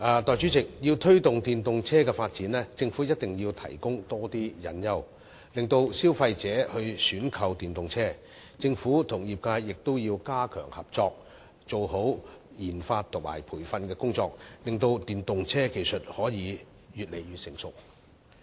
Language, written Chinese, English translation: Cantonese, 代理主席，要推動電動車發展，政府一定要提供多些誘因，令消費者選購電動車；政府與業界亦必須加強合作，做好研發和培訓工作，使電動車技術可以越來越成熟。, Deputy President the Government must provide more incentives to promote the development of EVs so as to encourage consumers to choose EVs . The Government and the industry must also step up cooperation properly take forward research and development RD and training so that EV technologies can become increasingly matured